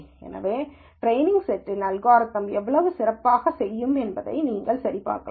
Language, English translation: Tamil, So, you could verify how well the algorithm will do on the training set itself